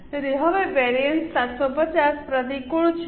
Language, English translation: Gujarati, So now the variance is 750 adverse